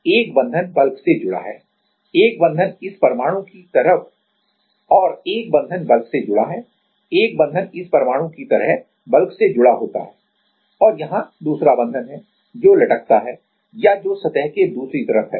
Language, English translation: Hindi, And one bond is connected to the bulk one bond is connected to the bulk like this atom and there is another bond which is dangling or which is on the other side of the surface